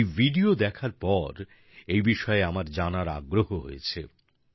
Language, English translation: Bengali, After watching this video, I was curious to know more about it